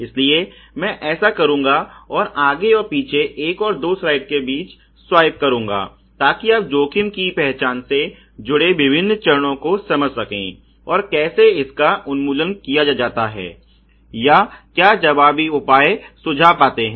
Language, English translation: Hindi, So, I will do that and back and forth swipe between slide one and slide two to make you understand the various steps associated with the risk identification, and how elimination has been done or what counter measures have been suggested